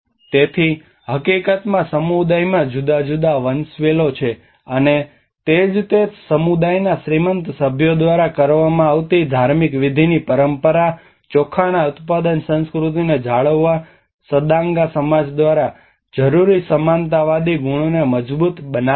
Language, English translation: Gujarati, So, in fact, there are different hierarchies within the community, and that is where the tradition of the ritual feasting by wealthy members of the community which is a practice reinforces the egalitarian qualities needed by Sadanga society to maintain the rice production culture